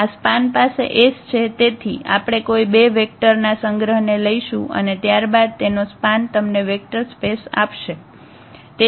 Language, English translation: Gujarati, This span has S so, we take any two any vectors collection of vectors and then the span of this will give you the vector space